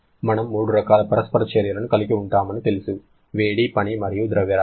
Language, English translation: Telugu, We know we can have 3 kinds of interaction, heat, work or mass